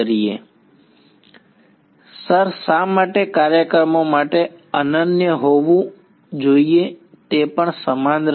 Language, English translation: Gujarati, Sir why should be unique for programs also it will be same